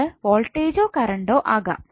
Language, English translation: Malayalam, That may be the voltage or current why